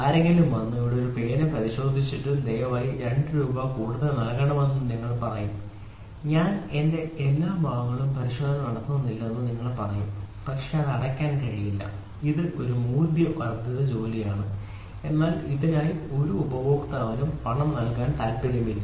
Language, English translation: Malayalam, If somebody comes and say, here is a pen which is inspected and please pay 2 rupees more you will say I will not inspection has to be done on every part, but it cannot be paid, it is a value addition job, but for this job no customer will be interested to pay